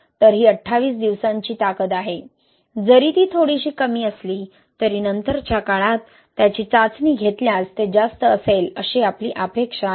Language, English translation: Marathi, So this is twenty eight days strength, although it is little bit lower, we expected to be higher if we test it at later ages